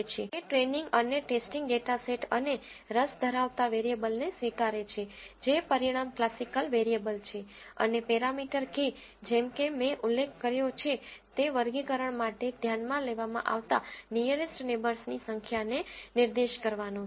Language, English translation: Gujarati, It accepts training and testing data sets and the class variable of interest that is outcome categorical variable and the parameter k as I have mentioned is to specify the number of nearest neighbours that are to be considered for the classification